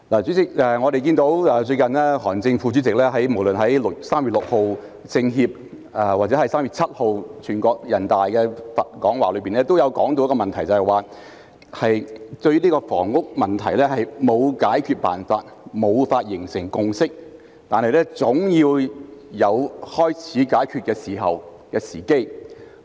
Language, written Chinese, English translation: Cantonese, 主席，我們看見最近韓正副總理無論在3月6日中國人民政治協商會議或3月7日全國人民代表大會會議的講話中，均有提到一個問題，也就是香港的房屋問題沒有解決辦法、無法形成共識，但總要有開始解決的時機。, President as we can see whether in his remarks made recently at the meeting of the Chinese Peoples Political Consultative Conference on 6 March or that of the National Peoples Congress on 7 March Vice Premier HAN Zheng mentioned the same problem that is there is no solution to the housing problem in Hong Kong and no consensus can be forged but there has to be a time to start tackling it